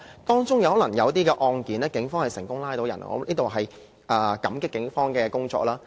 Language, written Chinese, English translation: Cantonese, 當中可能有一些案件，警方成功拘捕疑犯，我在此感激警方的努力。, In some of the cases the Police might have made successfully arrests of suspects . I thank the Police for their efforts